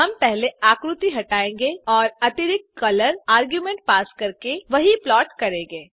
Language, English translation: Hindi, We shall first clear the figure and plot the same by passing the additional color argument